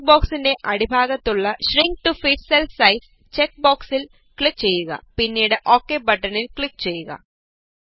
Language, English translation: Malayalam, At the bottom of the dialog box, click on the Shrink to fit cell size check box and then click on the OK button